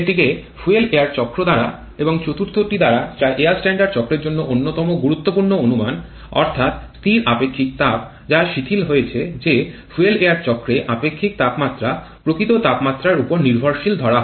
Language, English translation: Bengali, This one can be taken care of by fuel air cycle and a 4th one, one of the most important assumptions for the air standard cycle that is the constant specific heat that was relaxed that the temperature dependence nature of specific heats can be considered in fuel air cycle